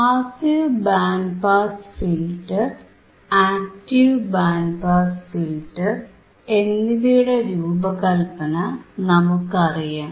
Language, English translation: Malayalam, And how we can how we can design the passive band pass filter, and how we can design the active band pass filter, right